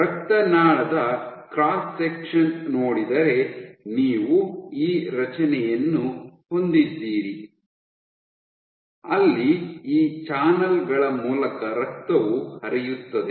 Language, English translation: Kannada, If you see the cross section of a blood vessel you have this nice structure, where you have blood flowing through these channels